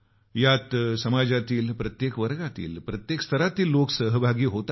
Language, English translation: Marathi, It will include people from all walks of life, from every segment of our society